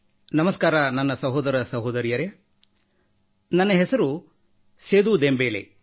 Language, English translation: Kannada, "Namaste, brothers and sisters, my name is Seedu Dembele